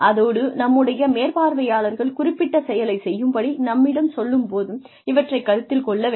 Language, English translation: Tamil, And, it should be taken into account, when our supervisors ask us to do certain things